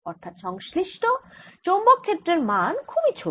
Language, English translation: Bengali, so associated magnetic field is really very, very small